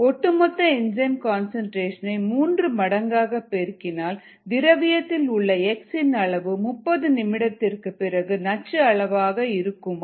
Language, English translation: Tamil, and part b: if the total enzyme concentration is tripled, will the medium contain toxic levels of x after thirty minutes